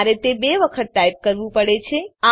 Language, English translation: Gujarati, I have to type it twice